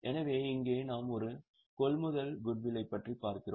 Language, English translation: Tamil, So, here we are looking at a purchase goodwill